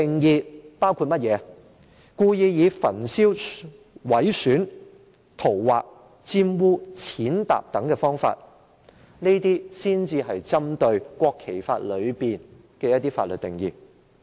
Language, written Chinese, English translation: Cantonese, 是故意以焚燒、毀損、塗劃、玷污、踐踏等方式所作的侮辱行為，這些才是針對《國旗及國徽條例》的法律定義。, Only acts of desecration involving the wilful burning mutilating scrawling on defiling or trampling on of national flags are within the legal definition of the National Flag and National Emblem Ordinance